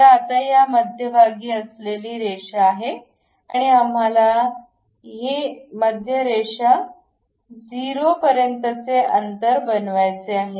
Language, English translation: Marathi, So, now the center line at this and we want to make this distance to this center line to be 0